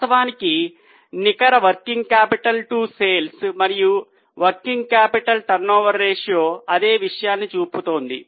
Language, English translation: Telugu, Actually, net working capital two sales and working capital turnover ratio is showing the same thing